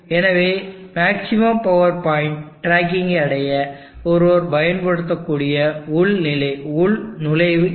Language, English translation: Tamil, So this is the login that one can use, for achieving maximum power point tracking